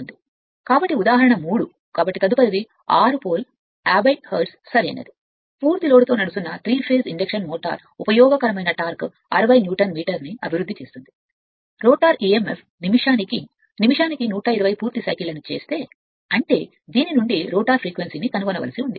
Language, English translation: Telugu, So, example 3 so a next one is a 6 pole, 50 hertz, 3 phase induction motor running on full load develops a useful torque of 160 Newton metre; when the rotor e m f makes 120 complete cycles per minute right; that means, it is you have to find out you have to find out the rotor frequency from this one